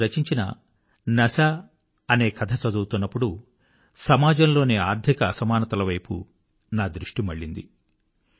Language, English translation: Telugu, While reading one of his stories 'Nashaa', I couldn't help but notice the scourge of economic disparity plaguing society